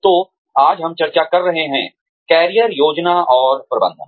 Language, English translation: Hindi, So, today, we are going to discuss, Career Planning and Management